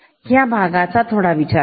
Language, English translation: Marathi, Just consider this part